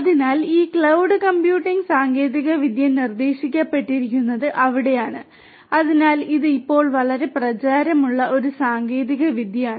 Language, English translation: Malayalam, So, that is where this cloud computing technology has been has been proposed, so this is a technology that has become very popular now